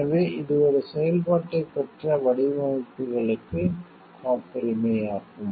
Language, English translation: Tamil, So, because it patents is for such designs which has got a functionality